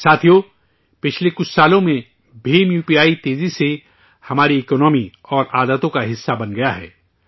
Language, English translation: Urdu, Friends, in the last few years, BHIM UPI has rapidly become a part of our economy and habits